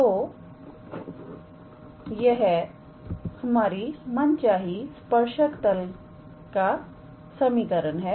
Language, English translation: Hindi, So, this is the required equation of the tangent plane